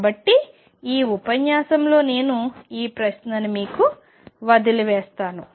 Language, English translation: Telugu, So, I will leave you with that question in this lecture